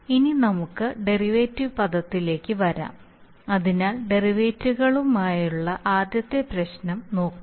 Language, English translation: Malayalam, Now let us come to the derivative term, so let us look at the first problem with derivatives that is that, that derivatives